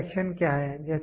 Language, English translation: Hindi, What is inspection